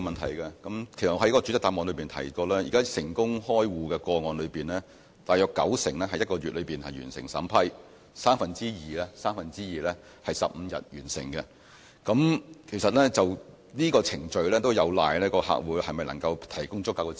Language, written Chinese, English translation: Cantonese, 我在主體答覆中提到，現時在成功開戶的個案中，大約九成可在一個月內完成審批，三分之二可在15天內完成，其實這個程序有賴客戶能否向銀行提供足夠資料。, As I mentioned in the main reply among the successful cases of account opening around 90 % can be completed within one month and two thirds within 15 days . In fact it depends on whether the customers can provide sufficient information